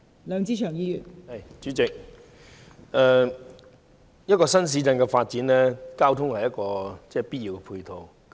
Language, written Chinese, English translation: Cantonese, 代理主席，任何新市鎮的發展，交通都是必要的配套。, Deputy President transport is an essential ancillary service to the development of any new town